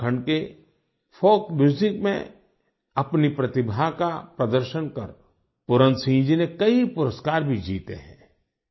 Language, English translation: Hindi, The talented folk music artist of Uttarakhand, Puran Singh ji has also won many awards